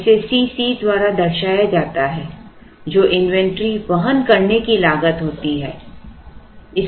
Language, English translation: Hindi, Now, this is denoted by C c inventory carrying cost of carrying inventory which is C c